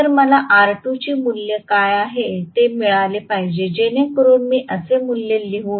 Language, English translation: Marathi, So, I should be able to get what is the value of r2 so that so let me write the value like this